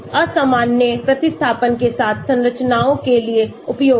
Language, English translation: Hindi, Useful for structures with unusual substituents